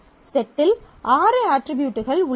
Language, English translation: Tamil, So, there are six attributes in the set